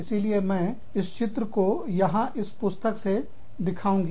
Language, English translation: Hindi, So, i will show you, this diagram, in this book, here